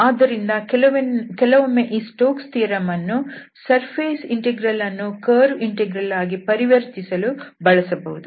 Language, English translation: Kannada, So, sometimes this Stokes theorem can be used for this transformation of the surface integral to curve integral